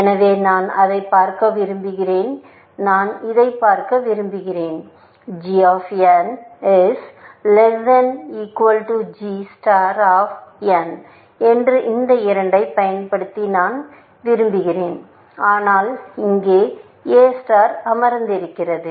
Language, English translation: Tamil, So, I want to look at this one, and this one, see I want basically, this g of n is less than equal to g star of n using these two, but I have a star sitting there